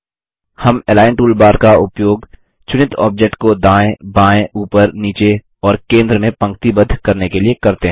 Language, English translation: Hindi, We use the Align toolbar to align the selected object to the left, right, top, bottom and centre